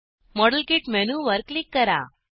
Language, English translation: Marathi, Click on modelkit menu